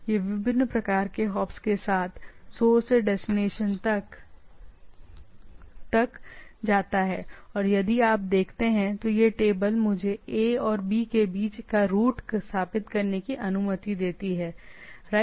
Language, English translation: Hindi, It goes from source to destination with different type of hops and if you see this table allows me to establish the route between A and B, right